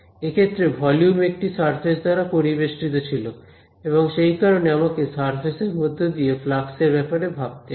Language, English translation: Bengali, In this case the volume was enclosed by one surface and so I had to take care of the flux through that surface right